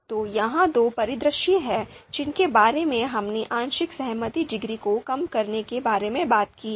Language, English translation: Hindi, So these are two scenarios, these are two scenarios that we talked about to deduce the partial concordance degree